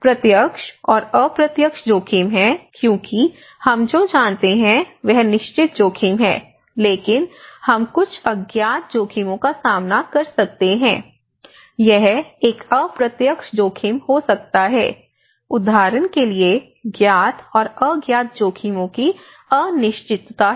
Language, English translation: Hindi, One is the direct and indirect risks because what we know is certain risk but certain in the health aspect, we may encounter some unknown risks you know, it might be an indirect risk like for instance there is uncertainty of known and unknown risks